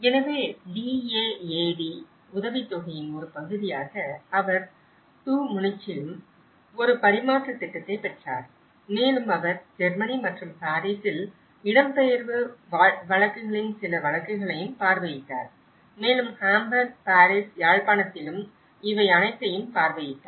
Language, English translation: Tamil, So, as a part of the DAAD scholarship, she also got an exchange program in Tu Munich and she have visited some of the cases of the displacement cases in the Germany as well and Paris and where she visited all these in Hamburg, Paris, Jaffna